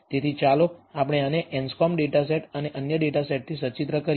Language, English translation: Gujarati, So, let us do this illustrate with the anscombe data set and also other data set